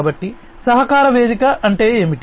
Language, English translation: Telugu, So, what is a collaboration platform